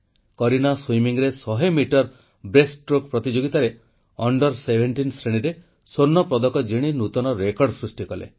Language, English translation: Odia, Kareena competed in the 100 metre breaststroke event in swimming, won the gold medal in the Under17 category and also set a new national record